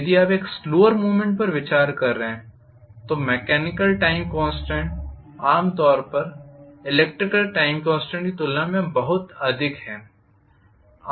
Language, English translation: Hindi, If you are considering a slower movement the mechanical time constant generally is much higher than the electrical time constant